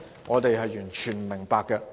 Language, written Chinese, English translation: Cantonese, 我們完全不明白。, We absolutely do not understand it